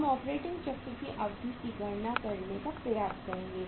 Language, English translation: Hindi, We will try to calculate the duration of operating cycle